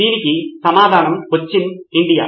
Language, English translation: Telugu, The answer is Cochin, India